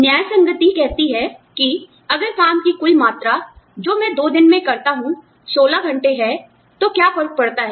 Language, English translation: Hindi, Equitability says, that if the total amount of work, i put in on two days is 16 hours, what difference does it make